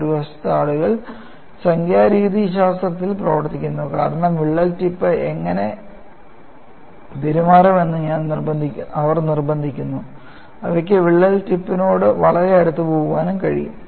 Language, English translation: Malayalam, On the other hand, people were working on numerical methodologies, because they force how the crack tip to behave; they can go very close to the crack tip